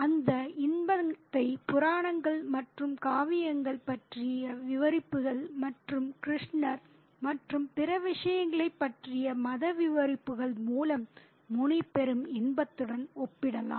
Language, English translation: Tamil, And that enjoyment can be compared to the enjoyment that Muni derives through the narratives about myths and epics and religious narratives about Lord Krishna and other things